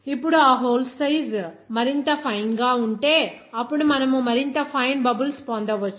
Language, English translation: Telugu, Now, this, you know that if you have that hole size will be more finer, then you can get that more finer bubbles